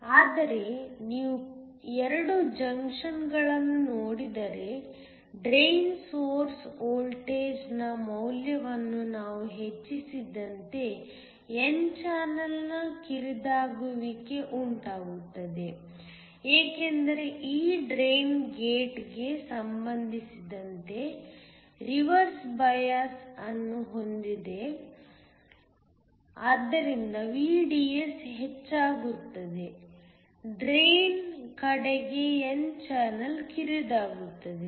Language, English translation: Kannada, But if you look at the 2 junctions, as we increase the value of the drain source voltage there is going to be narrowing of the n channel, this is because this drain is reverse biased with respect to the gate so that as VDS increases there will be narrowing of the n channel towards the drain